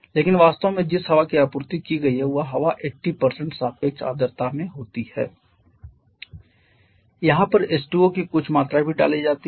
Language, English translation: Hindi, But actually the air that has been supplied that here is having in 80% relative humidity that is here some amount of H2O is also added